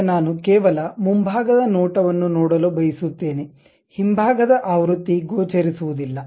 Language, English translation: Kannada, Now, I would like to see something like only front view; the back side version would not be visible